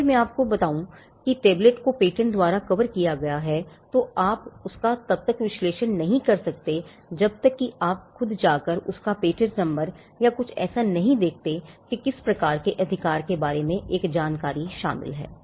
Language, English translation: Hindi, If I tell you that the tablet is covered by a patent the product that is in the tablet is covered by a patent that is something which you cannot analyze unless you go and look at the patent number and I direct you to something else where you get an information about the kind of right that is covered